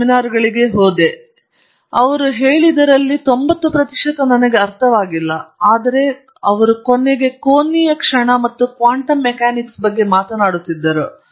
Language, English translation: Kannada, But the seminar was by a guy called Rose and still remember, I didn’t understand 90 percent of what he said, but he was talking about angular momenta and quantum mechanics